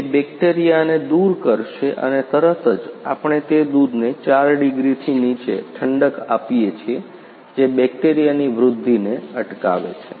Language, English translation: Gujarati, It will makes all bacteria removed and immediately we are cooling that milk below 4 degree which limits the growth of bacteria () Ok Subsequently